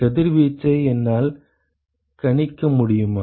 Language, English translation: Tamil, Can I estimate can the radiation …